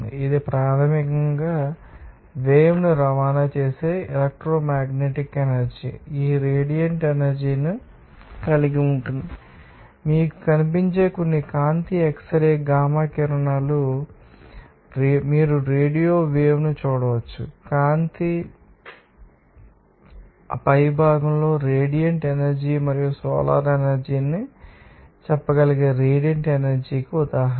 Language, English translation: Telugu, It is basically a you can see that electromagnetic energy that traverse in transports waves and this radiant energy includes, you know some visible light X ray gamma rays and you can see radio waves and light is one of one of the you know, the top radiant energy and solar energy is an example of radiant energy you can say